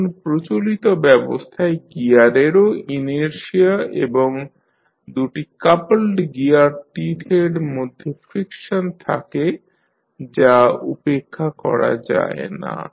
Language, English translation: Bengali, Now, in practice the gears also have inertia and friction between the coupled gear teeth and that often cannot be neglected